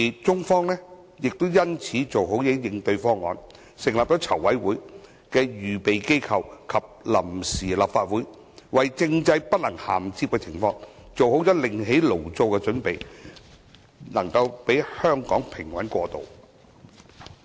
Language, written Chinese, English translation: Cantonese, 中方亦因此做好應對方案，成立籌委會的預備機構及臨時立法會，為政制不能銜接的情況做好"另起爐灶"的準備，讓香港平穩過渡。, In response the Chinese side set up the Preliminary Working Committee and the Provisional Legislative Council to make preparation for setting up a new system in view of the non - convergence of political systems so as to ascertain a smooth transition of Hong Kong